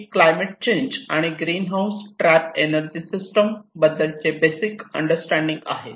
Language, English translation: Marathi, So, this is the basic understanding of climate change and the greenhouse gas trap energy systems